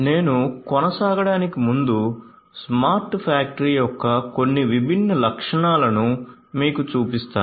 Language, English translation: Telugu, So, before I proceed let me show you some of the different features of a smart factory